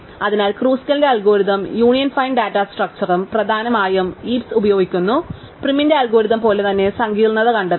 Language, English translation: Malayalam, So, therefore, Kruskal's algorithm with the union find data structure essentially has the same complexity as prim's algorithm using heaps